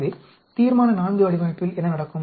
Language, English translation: Tamil, So, in Resolution IV design, what happens